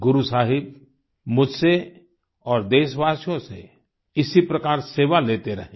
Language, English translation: Hindi, May Guru Sahib keep taking services from me and countrymen in the same manner